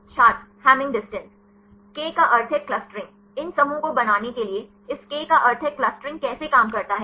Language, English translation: Hindi, Hamming distance K means clustering; to make these clusters, how this K means clustering works